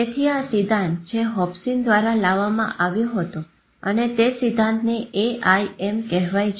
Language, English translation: Gujarati, So there is a theory which has been brought out by Hobson and that theory is called aim